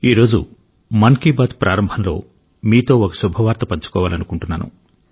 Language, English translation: Telugu, I want to share a good news with you all at the beginning of Mann ki Baat today